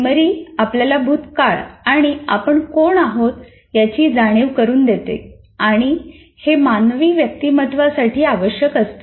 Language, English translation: Marathi, So memory gives us a past and a record of who we are and is essential to human individuality